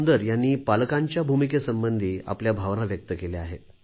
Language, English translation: Marathi, Sunder Ji has expressed his feelings on the role of parents